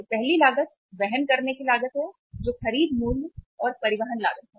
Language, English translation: Hindi, So first cost is the carrying cost, which is the purchase price plus transportation cost